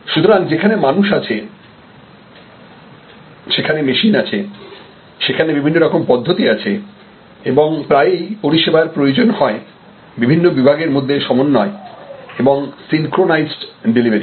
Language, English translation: Bengali, So, there are people, there are machines, there are different types of processes and often services need contribution from different departments of an organization, coordinated synchronized delivery